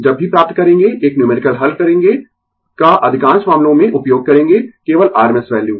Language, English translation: Hindi, Whenever will find solve a numerical will use most of the cases only rms value right